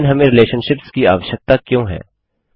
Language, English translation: Hindi, But why do we need relationships